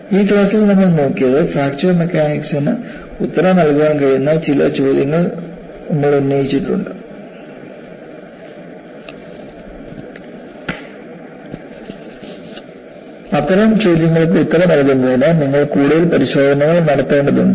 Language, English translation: Malayalam, So, in this class, what we had looked at was, we have raised certain questions that fracture mechanics should be able to answer; in order to answer such questions, you need to conduct more tests